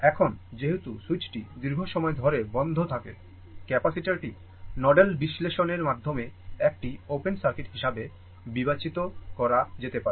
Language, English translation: Bengali, Now, as the switch remains closed for long time, capacitor can be considered to be an open circuit by nodal analysis